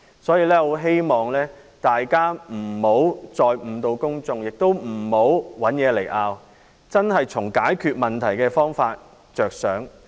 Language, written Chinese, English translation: Cantonese, 我很希望大家不要再誤導公眾，也不要找東西來爭拗，應真正從解決問題的方法着想。, I really hope that other Members will not once again mislead the public and create unnecessary disputes . We should really focus on ways to resolve the problems